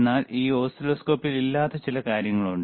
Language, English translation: Malayalam, But there are a few things in this oscilloscope which this one does not have